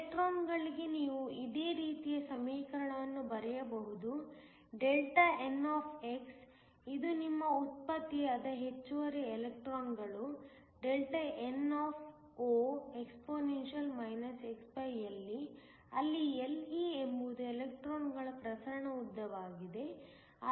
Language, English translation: Kannada, So, for electrons you can write a similar equation say Δn, which is your excess electrons that are generated nnexp; where Le is the diffusion length of the electrons